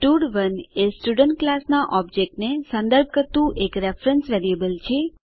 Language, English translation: Gujarati, stud1 is a reference variable referring to one object of the Student class